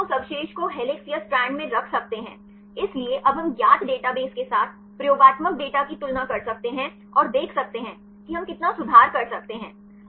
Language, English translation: Hindi, Then we can assign that residue previous to be in helix or strand; so, now we can compare experimental data with the known database and see; how far we can improve